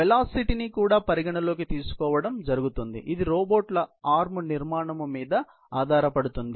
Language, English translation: Telugu, There can be velocity considerations also, which are affected by the robots arms structure